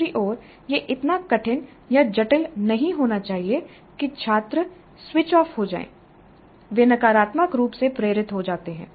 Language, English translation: Hindi, On the other hand it must not be so difficult or complex that the students get switched off